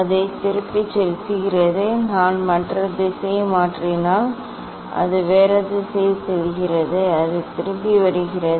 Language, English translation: Tamil, it is going back and if I change the other direction, it is going other direction it is coming back